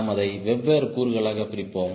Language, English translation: Tamil, we will break it into different, different components